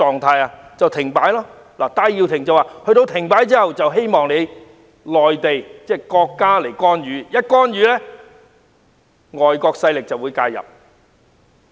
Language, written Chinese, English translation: Cantonese, 戴耀廷表示希望國家在香港停擺後作出干預，如此一來，外國勢力便會介入。, Benny TAI has indicated his wish for state interference after a shutdown of Hong Kong which will in turn attract intervention by foreign forces